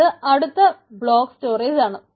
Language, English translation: Malayalam, right, so it is a block storage